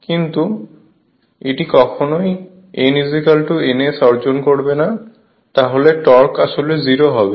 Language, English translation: Bengali, But it will never achieve n is equal to n s, then torque will be actually 0 right